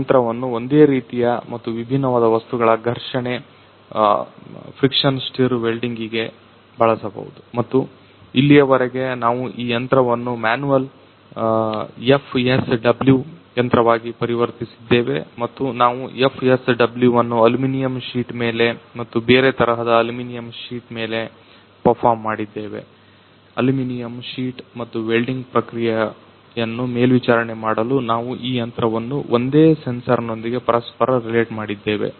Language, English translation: Kannada, This machine can be used for the of friction stir welding of similar and dissimilar material and so far we have converted this machine as a manual FSW machine and we have performed FSW on aluminum sheet and also on aluminum sheet dissimilar aluminum sheet and for monitoring the welding process we have inter related this machine with the same sensor